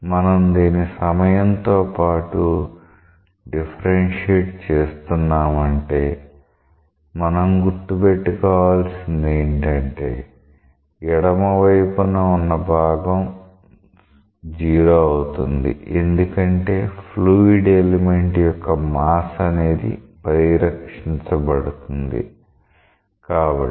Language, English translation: Telugu, So, when we write say when we differentiate it with respect to time by keeping that in mind, we have the left hand side like this which again becomes 0 because the mass of the fluid element is conserved